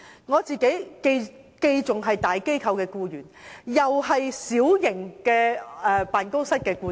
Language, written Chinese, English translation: Cantonese, 我自己既是大機構的僱員，亦是小型辦公室的僱主。, I am both an employee working for a large organization and an employer running a small office